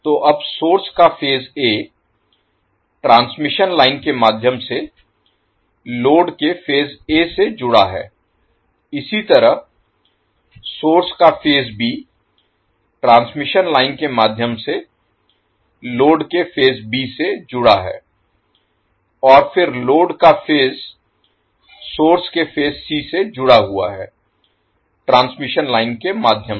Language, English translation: Hindi, So now the phase A of the source is connected to phase A of the load through transmission line, similarly phase B of the source is connected to phase B of the load through the transmission line and then phase C of the load is connected to phase C of the source through the transmission line